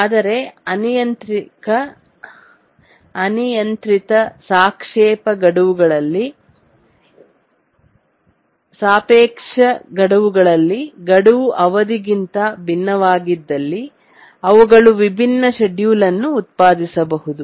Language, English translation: Kannada, But for arbitrarily relative deadlines where the deadline may be different from the period, they may produce different schedules